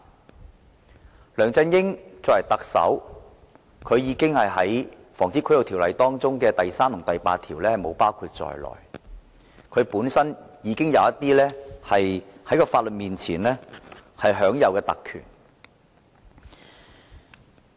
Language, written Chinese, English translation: Cantonese, 然而，梁振英作為特首，並不受《防止賄賂條例》第3條和第8條規限，所以在法律面前已享有某些特權。, However LEUNG Chun - ying as the Chief Executive is not subject to section 3 and section 8 of the Prevention of Bribery Ordinance so he already enjoys certain privileges before the law